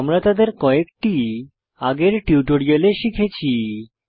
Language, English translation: Bengali, We learnt some of them in earlier tutorials